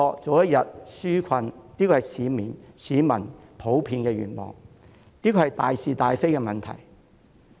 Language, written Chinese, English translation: Cantonese, 這是市民普遍的願望，亦是大是大非的問題。, It is the general wish of members of the public which is also a matter of black and white